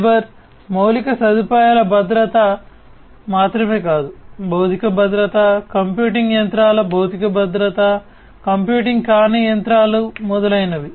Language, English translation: Telugu, Not only the security of the cyber infrastructure, but also the physical security, the physical security of the machines, of the computing machines, the non computing machines, and so on